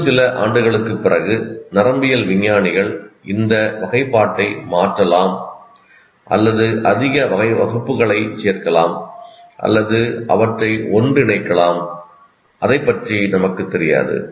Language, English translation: Tamil, Maybe after a few years, again, neuroscientists may change this classification or add more classes or merge them, we don't know